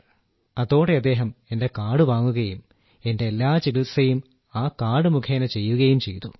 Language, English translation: Malayalam, Then he took that card of mine and all my treatment has been done with that card